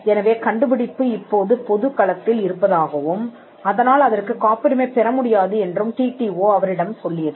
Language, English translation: Tamil, So, the TTO’s told them that the discovery was now in the public domain and they could not patent it